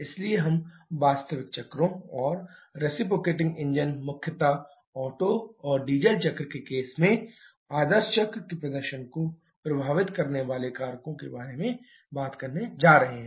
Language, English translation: Hindi, So, we are going to talk about the real cycles or factors affecting the performance of the ideal cycle in case of reciprocating engines primarily the Otto and Diesel cycle